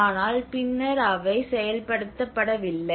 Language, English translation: Tamil, But then they were barely implemented